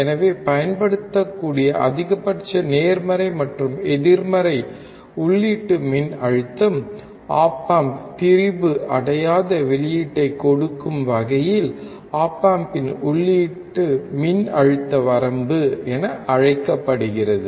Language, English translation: Tamil, So, the maximum positive and negative input voltage that can be applied so that op amp gives undistorted output is called input voltage range of the op amp